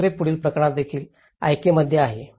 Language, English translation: Marathi, The second, the following case is also in Ica